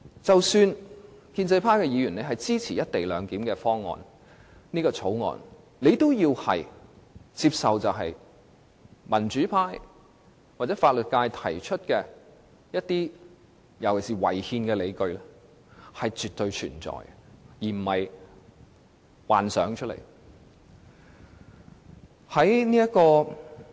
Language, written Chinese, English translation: Cantonese, 即使建制派議員支持《條例草案》，也應接受民主派或法律界提出的一些尤其是違憲的理據是確實存在，並非憑空想象。, Even if Members of the pro - establishment camp support the Bill they should still accept the fact that some justifications especially the one concerning constitutionality advanced by the pro - democracy camp or the legal profession really exist